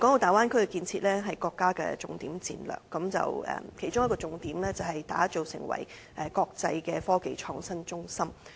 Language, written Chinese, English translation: Cantonese, 大灣區的建設是國家的重點戰略，其中一個重點是打造成為國際的科技創新中心。, The building of the Bay Area is a key strategy of the country and one of the priorities is to build it up as an international technology and innovation centre